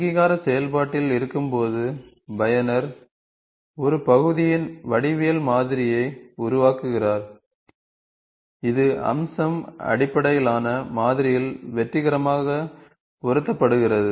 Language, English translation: Tamil, While in the recognition process, the user builds the geometric model of your path, that is successfully mapped into the feature based model